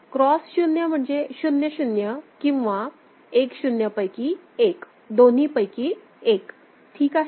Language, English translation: Marathi, Cross 0 means one of 00 or 10; either way it is fine, ok